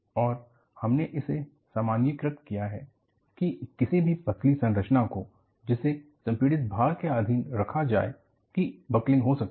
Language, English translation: Hindi, So, what you will have to look at is, any thin structure, subjected to compressive load can buckle